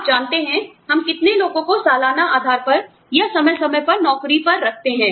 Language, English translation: Hindi, You know, how many people, do we hire on an annual basis, or periodically